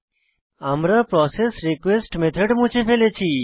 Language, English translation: Bengali, We had already deleted processRequest method